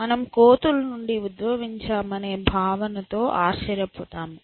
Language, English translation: Telugu, So, people would aghast at the notion that we have evolved from apes